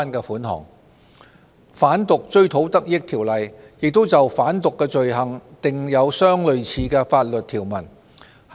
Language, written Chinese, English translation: Cantonese, 此外，《販毒條例》亦就販毒罪行訂有相類似的條文。, DTROP also has similar provisions pertaining to drug trafficking offences